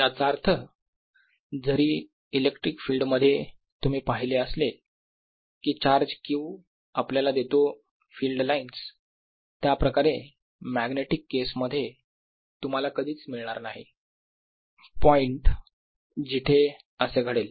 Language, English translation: Marathi, that means, although in the electric field you saw, the charge q gave you free line like this, in magnetic case you never find a point where it happens